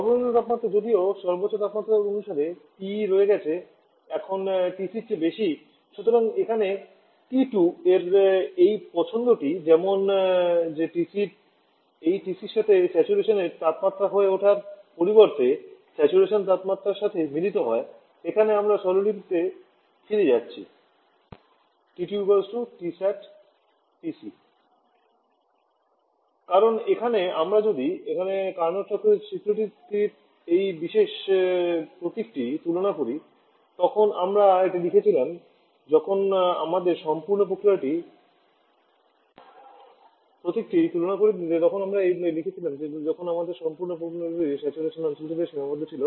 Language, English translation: Bengali, Lowest temperature though even TE by highest temperature is higher than TC now, so that here this choice of T2 is such that T2 becomes the saturation temperature corresponding to this TC rather being TC being saturation pressure corresponding saturation temperature whether here we are going back to the notation that is T2 equal to T sat PC